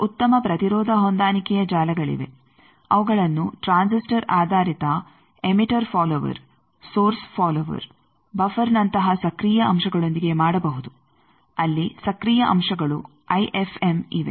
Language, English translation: Kannada, Now, there are good impedance matching network, they can be done with active elements like transistor based emitter follower source follower buffer there the active elements bits IFM